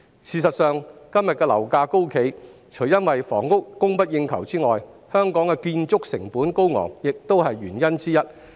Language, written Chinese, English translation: Cantonese, 事實上，今天樓價高企，除因房屋供不應求外，香港的建築成本高昂亦是原因之一。, In fact apart from shortage of housing supply one of the reasons for the surging property prices today is the high construction costs in Hong Kong